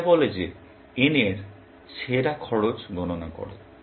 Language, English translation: Bengali, It says that compute the best cost of n